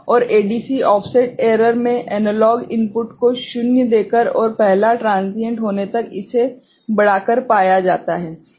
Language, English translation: Hindi, And in ADC offset error is found by giving zero to analog input and increasing it till first transition occurs